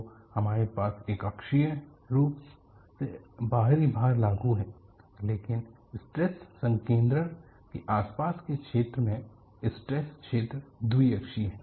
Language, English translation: Hindi, So, you have a uniaxial externally applied load, but in the vicinity of a stress concentration, the stress field is y axial